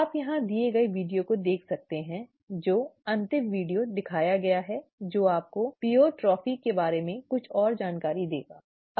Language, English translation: Hindi, You can look at the video that is given here, the last video that is shown that will give you some more details about Pleiotropy